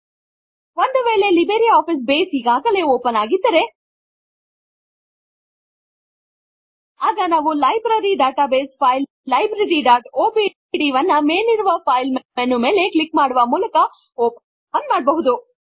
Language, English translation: Kannada, If LibreOffice Base is already open, Then we can open the Library database file Library.odb by clicking on the File menu on the top and then clicking on Open